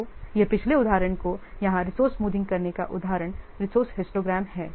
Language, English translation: Hindi, So this histogram is being what smoothened here and let's see how can smoothen the resource histograms